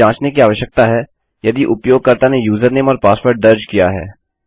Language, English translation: Hindi, We need to check if the users have entered the username and the password